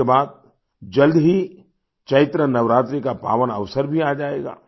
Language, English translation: Hindi, After this, soon the holy occasion of Chaitra Navratri will also come